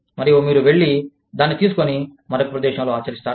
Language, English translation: Telugu, And, you go and take it, and apply it in another place